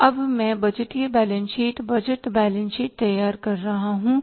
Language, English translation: Hindi, So now I am preparing the budgeted balance sheet